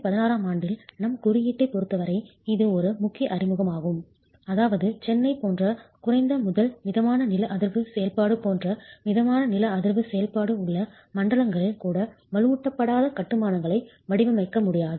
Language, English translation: Tamil, This is something that is a landmark introduction as far as our code is concerned in 2016, which means in zones even of moderate seismic activity such as low to moderate seismic activity such as Chennai, we cannot design unreinforced masonry